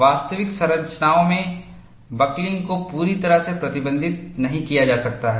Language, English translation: Hindi, In actual structures, buckling may not be fully restrained